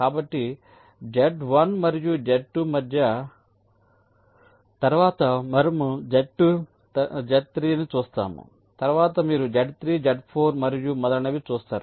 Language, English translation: Telugu, so between z one and z two, then we will see z two, z three, then you will see z three, z four and so on